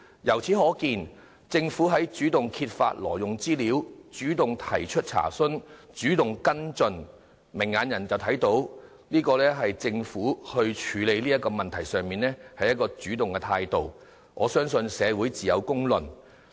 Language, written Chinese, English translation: Cantonese, 由此可見，挪用資料事件是由政府主動揭發、查詢及跟進，政府採取主動處理問題的態度有目共睹，我相信社會自有公論。, It is evident that the Government has been proactive in discovering inquiring and following up the incident involving the illegal use of information . The Governments proactive attitude in handling the case is obvious to all . I trust that society will pass a fair judgment on this